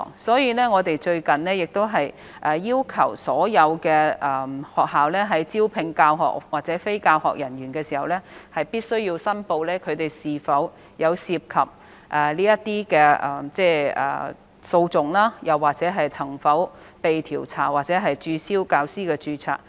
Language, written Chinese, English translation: Cantonese, 因此，我們最近已要求所有學校，在招聘教學或非教學人員時，必須申報他們有否涉及訴訟，或曾否被調查或註銷教師的註冊。, Therefore we have recently required all schools to report upon recruitment of teaching or non - teaching staff whether any of their staff are involved in litigation or whether they have been investigated or have their teacher registration cancelled